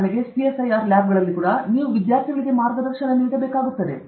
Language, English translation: Kannada, If you are working in any… now even in CSIR labs and all that, you will have to guide students